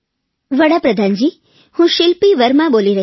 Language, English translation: Gujarati, "Pradhan Mantri Ji, I am Shilpi Varma speaking from Bengaluru